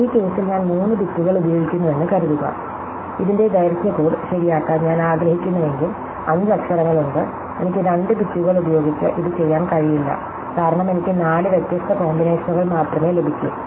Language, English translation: Malayalam, So, supposing I use 3 bits in this case, if I want to fixed length code of this, then there are five letters, I cannot do it with 2 bits, because I only get four different combinations